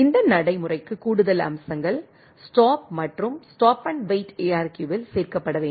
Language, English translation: Tamil, This procedure requires additional features to be added in the stop and stop and wait ARQ right